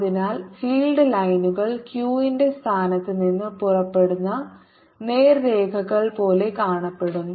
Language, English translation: Malayalam, so the field lines are going to look like straight lines emanating from the position of q